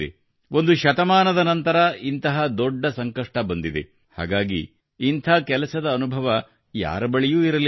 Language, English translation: Kannada, We have met such a big calamity after a century, therefore, no one had any experience of this kind of work